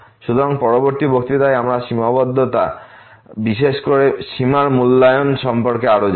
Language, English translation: Bengali, So, in the next lecture, we will learn more on the Limits, the evaluation of the limit in particular